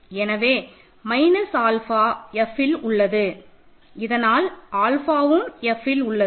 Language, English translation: Tamil, So, minus alpha is in F obviously then alpha is F alpha is in F